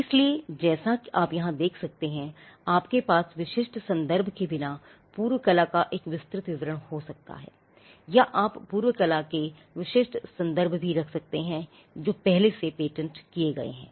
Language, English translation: Hindi, So, you could have a broad description of the prior art without specific references or you could also have specific references of prior art which have already been patented as you can see here